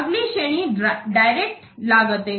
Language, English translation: Hindi, Next category is direct and cost